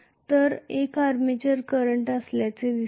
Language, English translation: Marathi, The other one seems to be the armature current